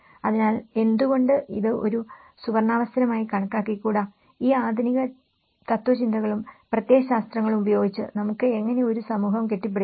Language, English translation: Malayalam, So, why not take this as a golden opportunity and how we can build a society with these modernistic philosophies and ideologies